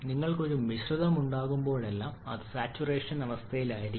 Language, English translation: Malayalam, Then whenever you are having a mixture that has to be under saturation condition